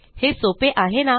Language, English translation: Marathi, Isnt it simple